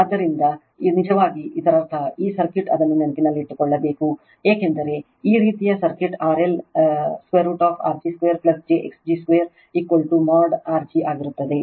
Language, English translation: Kannada, So, this is actually for that means that means for this circuit you have to keep it in mind, for this kind of circuit R L will be your root over R g square plus j x g square is equal to mod g right